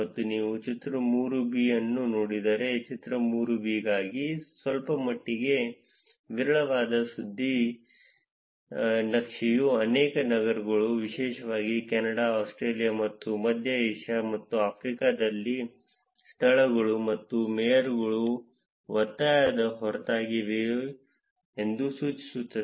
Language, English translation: Kannada, And if you look at the figure 3, somewhat sparser tip map for figure 3 indicates that there are many cities, particularly in Canada, Australia, and Central Asia, and Africa, where despite their insistence of venues and mayors' users do not post tips